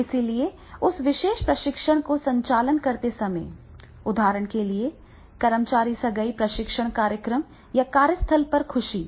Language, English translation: Hindi, For example, the employee engagement training program or the happiness at workplace